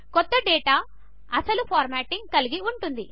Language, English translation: Telugu, The new data will retain the original formatting